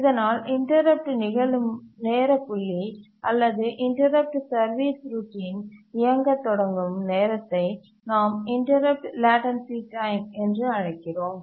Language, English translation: Tamil, So the point where the interrupt occurs, the time point at which the interrupt occurs to the time point where the interrupt service routine starts running, we call it as the interrupt latency time